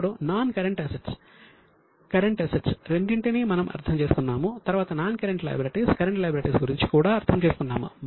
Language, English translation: Telugu, Now we have understood both non current assets, current assets, then non current liabilities current liabilities